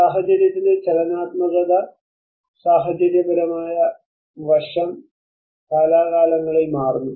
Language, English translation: Malayalam, The dynamics of the situation, the situational aspect changes from time to time